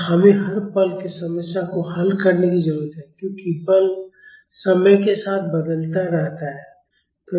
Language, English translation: Hindi, And we need to solve the problem at each instant as the force is varying with time